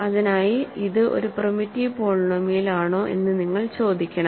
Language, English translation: Malayalam, For that you have to ask if it is a primitive polynomial